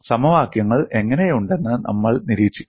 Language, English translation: Malayalam, And we would observe how the equations look like